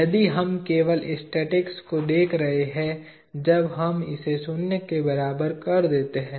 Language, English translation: Hindi, If we are looking at only statics, when we make this equal to zero